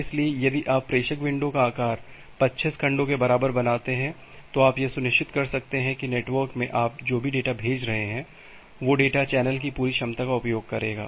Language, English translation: Hindi, So, if you make the sender window size equal to 25 segments, then you can be sure that well whatever data you are pushing in the network that data will use the entire capacity of the channel